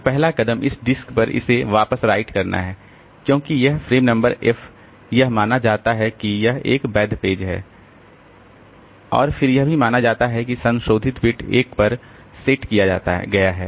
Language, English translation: Hindi, So, the first step is to write this back onto this disk because this frame number f it is assumed that this is a valid page and then it is also assumed that the modify beat was set to 1